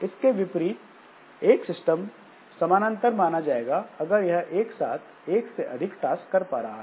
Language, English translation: Hindi, In contrast, a system is parallel if it can perform more than one task simultaneously